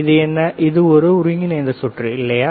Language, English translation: Tamil, This is the integrated circuit, right